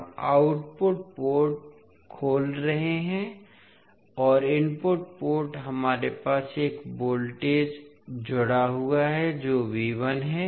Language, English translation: Hindi, We are opening the output port and the input port we have a voltage connected that is V 1